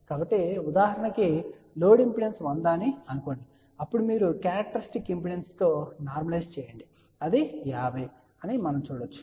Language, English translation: Telugu, So, for example, let say if the load impedance is suppose 100 , then you normalize with the respect to characteristic impedance let say that is 50